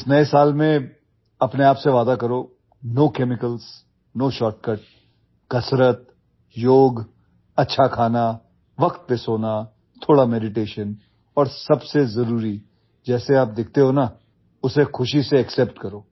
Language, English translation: Hindi, In this New Year, promise yourself… no chemicals, no shortcut exercise, yoga, good food, sleeping on time, some meditation and most importantly, happily accept the way you look